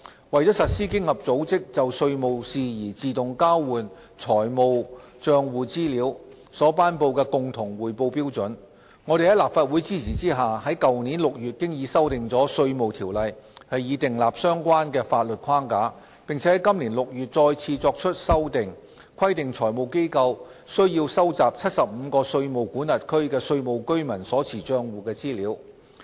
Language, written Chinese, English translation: Cantonese, 為實施經合組織就稅務事宜自動交換財務帳戶資料所頒布的共同匯報標準，我們在立法會的支持下，於去年6月已修訂了《稅務條例》以訂立相關的法律框架，並在今年6月再次作出修訂，規定財務機構須收集75個稅務管轄區的稅務居民所持帳戶的資料。, In order to implement the common reporting standard for automatic exchange of financial account information in tax matters AEOI promulgated by OECD we amended the Inland Revenue Ordinance last June under the support of the Legislative Council to lay down the relevant legal framework . The Ordinance was further amended in June this year to mandate financial institutions to collect tax residents account information for 75 jurisdictions